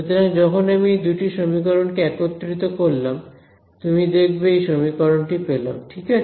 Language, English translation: Bengali, So, when I combine these two equations you will see this is the equation that I get ok